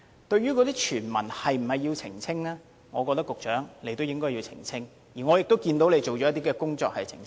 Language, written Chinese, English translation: Cantonese, 至於傳聞是否要澄清，我認為局長應該澄清，而我看到他已做了些工作，作出澄清。, As to whether it is necessary to set the record straight I think the Secretary should do so . I have noticed that he has already moved to clarify